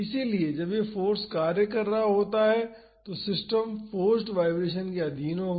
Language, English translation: Hindi, So, when this force is acting the system will be under force vibration